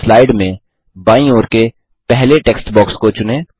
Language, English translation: Hindi, Select the first text box to the left in the slide